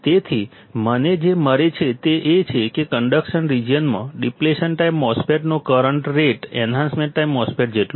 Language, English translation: Gujarati, So, what I find is that the in the conduction region, the current rate of a depletion time MOSFET is equal to the enhancement type MOSFET